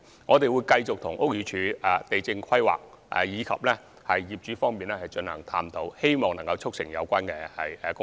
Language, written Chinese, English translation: Cantonese, 我們會繼續與屋宇署、地政總署、規劃署及業主進行探討，希望可以促成有關工作。, We will continue to explore with BD LandsD the Planning Department and building owners in a bid to facilitate the projects